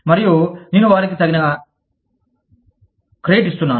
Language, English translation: Telugu, And, i am giving them, due credit for it